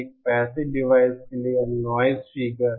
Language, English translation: Hindi, For a passive device, this noise figure